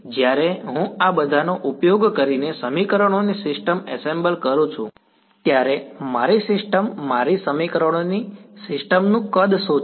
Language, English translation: Gujarati, When I form assemble a system of equations using all of these what is my system the size of my system of equations